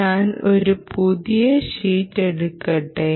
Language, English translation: Malayalam, so let me take a new sheet